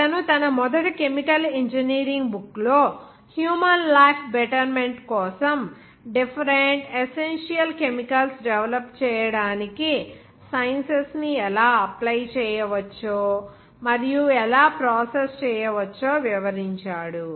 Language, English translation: Telugu, He described in his first book of chemical engineering and how this science can be applied and it can be processed for the betterment of human life just by developing different essential chemicals